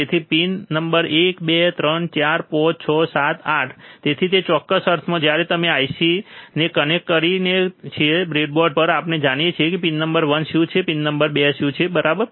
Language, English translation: Gujarati, So, pin number 1, 2, 3, 4, 5, 6, 7, 8 so, in that particular sense, when we connect the IC to the breadboard, we know what is pin number one what is pin number 2, alright